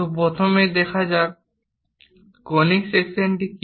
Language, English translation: Bengali, So, first of all, let us look at what is a conic section